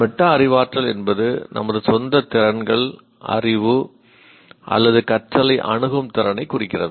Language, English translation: Tamil, And metacognition represents our ability to assess our own skills, knowledge or learning